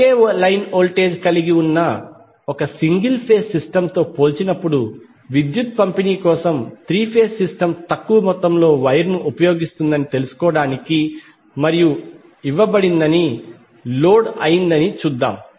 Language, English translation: Telugu, Let us try to find out and justify that the three phase system for power distribution will use less amount of wire when we compare with single phase system which is having the same line voltage and the same power being fed to the load